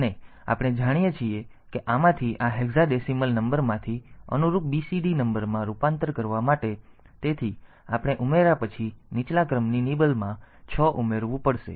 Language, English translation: Gujarati, And as we know that for this conversion from this from this hexadecimal number to the corresponding BCD number, so we have to add six to the lower order nibble after the addition